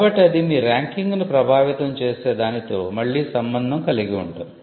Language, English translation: Telugu, So, that could again relate to something that affects your ranking